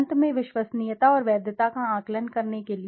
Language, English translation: Hindi, Finally to assess the reliability and validity